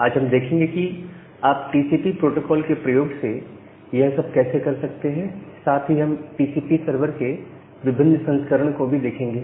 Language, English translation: Hindi, So, today we look into how you can do the same thing using TCP protocol and we look into different variants of TCP server